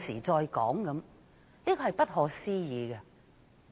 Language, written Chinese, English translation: Cantonese, 這真是不可思議。, This is really mind boggling